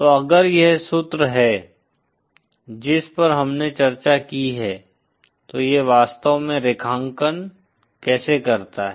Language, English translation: Hindi, So then if this is the formula that we discussed so how does it actually translate graphically